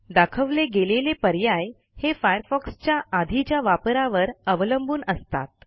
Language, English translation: Marathi, The displayed options is subject to the intervals between the usage of Firefox on that computer